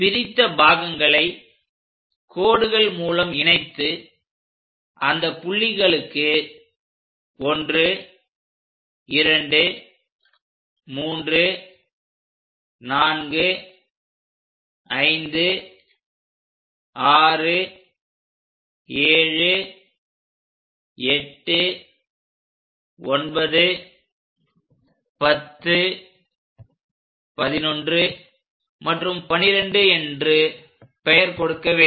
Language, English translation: Tamil, Let us join these lines and the last line this once constructed name it 1, 2, 3, 4, 5, 6, 7, 8, 9, 10, 11 and 12 points